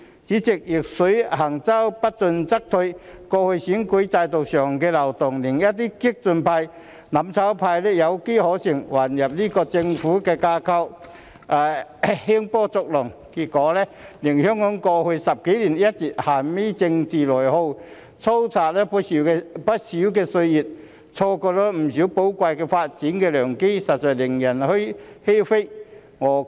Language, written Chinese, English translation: Cantonese, 主席，"逆水行舟，不進則退"，過去選舉制度上的漏洞令一些激進派、"攬炒派"有機可乘，混入政府架構興風作浪，結果令香港在過去10多年一直陷於政治內耗，蹉跎不少歲月，錯過不少寶貴的發展良機，實在令人欷歔。, President just like rowing a boat upstream you will fall back if you stop moving forward . In the past the loopholes in the electoral system have enabled the radicals and those from the mutual destruction camp to take advantage of them by infiltrating into the Government to stir up troubles . As a result Hong Kong has been plunged into a state of internal political rift for over a decade wasting so much time and so many valuable development opportunities